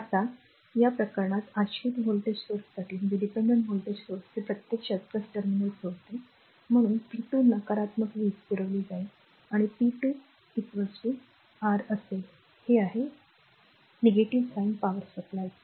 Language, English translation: Marathi, Now, and in this case for dependent voltage source this actually leaving the plus terminal so, p 2 will be negative power supplied and p 2 will be is equal to your, this is minus sign power supplied